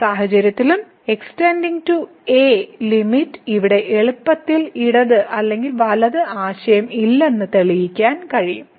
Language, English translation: Malayalam, So, in this case also one can easily prove that limit goes to a now there is no left or right concept here